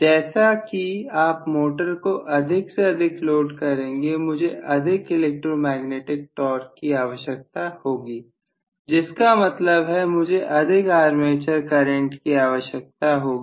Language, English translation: Hindi, As you load the motor more and more I will require more electromagnetic torque which means I will require more armature current